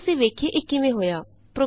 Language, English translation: Punjabi, Now let us find out how this happened